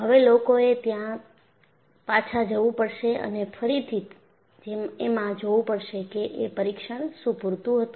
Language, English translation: Gujarati, So, people have to go back and re look whether the tests were sufficient